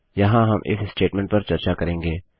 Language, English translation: Hindi, Here we will discuss the IF statement